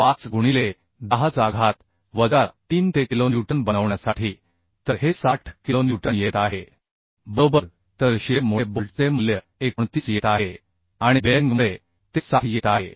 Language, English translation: Marathi, 25 into 10 to the power minus 3 for making it kilonewton so this is coming 60 kilonewton right So bolt value due to shear it is coming 29 and due to bearing it is coming 60